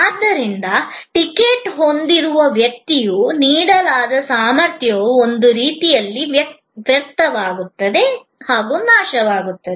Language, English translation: Kannada, So, capacity that was allotted to the person holding the ticket is in a way wasted, perished, gone